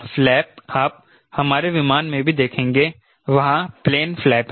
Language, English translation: Hindi, you will see now aircraft also, there are flap, plane flaps